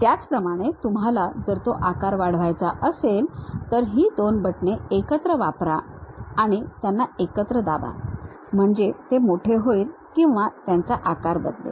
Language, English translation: Marathi, Similarly, you want to increase that size use these two buttons together, you press them together so that it enlarges or change the size